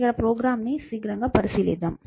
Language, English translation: Telugu, So, let us take a quick look at the program here